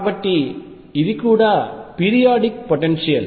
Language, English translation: Telugu, So, this is also a periodic potential